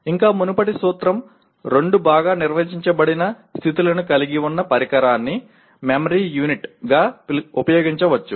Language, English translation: Telugu, And still earlier principle a device that has two well defined states can be used as a memory unit